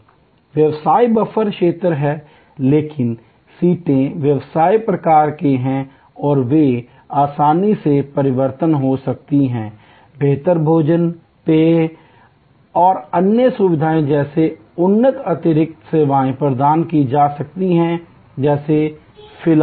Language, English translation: Hindi, So, quasi business buffer area, but the seats are business type and they can be easily either provided with upgraded additional services like better food, beverage and other facilities like movie etc